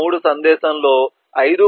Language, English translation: Telugu, 3 will follow 5